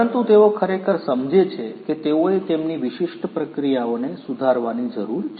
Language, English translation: Gujarati, But, they really understand that they need to improve their existing processes